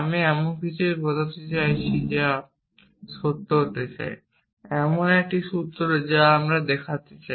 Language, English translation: Bengali, We mean something that we want to show to be true a formula that we want to show to be through